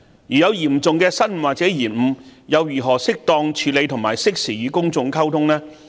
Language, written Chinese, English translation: Cantonese, 如有嚴重的失誤或延誤，又如何適當處理和適時與公眾溝通呢？, In case of serious blunders or delays how should they be properly addressed and the relevant information be timely disseminated to the public?